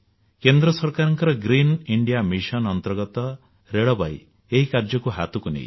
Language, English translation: Odia, Under the central government's ongoing 'Green India Mission', Railways too have joined in this endeavour